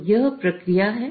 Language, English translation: Hindi, So, that is the process